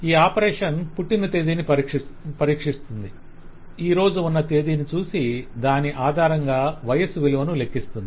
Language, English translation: Telugu, This operation will consult the date of birth, consult the date that is today and based on that, compute the age and give us the value